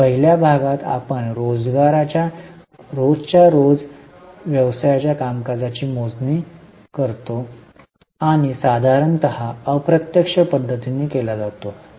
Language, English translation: Marathi, In the first part we calculate the cash generated from day to day activities of the business and normally it is done using indirect method